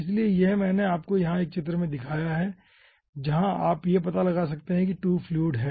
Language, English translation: Hindi, okay, so here i have shown you a figure where you can find out 2 fluids are there